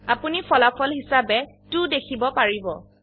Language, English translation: Assamese, You will get the result as 2